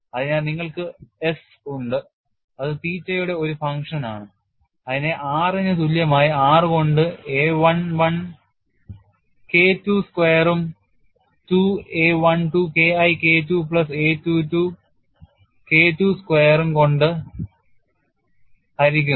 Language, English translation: Malayalam, So, you have S which is the function of theta divided by r equal to 1 by r a11 K1 square plus 2 a12 K1 K2 plus a22 K2 square